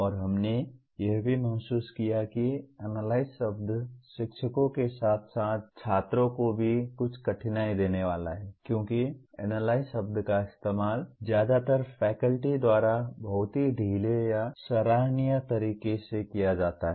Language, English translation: Hindi, And we also realized the word Analyze is going to provide rather give some difficulty to the teachers as well as the students because the word Analyze is used in a very loose or commonsensical way by majority of the faculty